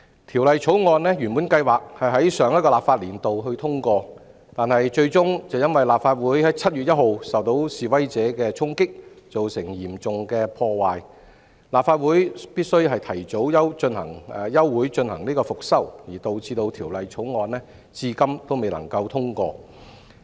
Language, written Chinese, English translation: Cantonese, 《條例草案》原計劃在上個立法年度通過，但最終卻因立法會在7月1日受到示威者的衝擊，造成嚴重破壞，立法會須提早休會進行復修，導致《條例草案》至今未能通過。, Originally scheduled to be passed in the last legislative session the Bill has been standing over until now due to the Legislative Councils early adjournment for restoration works as a result of the serious damage caused by the storming of the Legislative Council Complex by protestors on 1 July